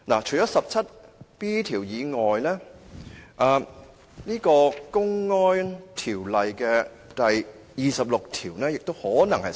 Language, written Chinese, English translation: Cantonese, 除了第 17B 條以外，《公安條例》第26條亦可能適用。, Apart from section 17B section 26 of the Public Order Ordinance may also apply